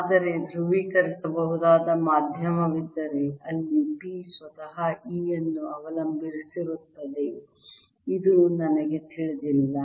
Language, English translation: Kannada, but if there is a polarizable medium where p itself depends on e, i do not know this